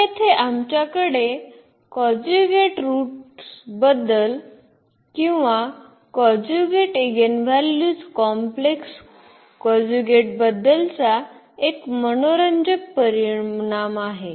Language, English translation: Marathi, So, here that is the interesting result we have about the conjugate roots or about the conjugate eigenvalues complex conjugate here